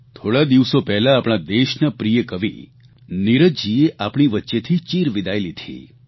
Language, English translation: Gujarati, A few days ago, the country's beloved poet Neeraj Ji left us forever